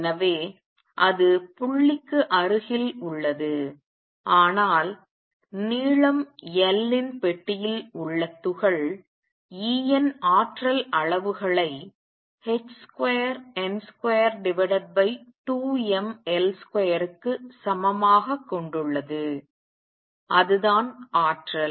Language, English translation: Tamil, So, that is beside the point, but particle in a box of length L has energy levels E n is equal to h square n square divided by 2 m L square that is the energy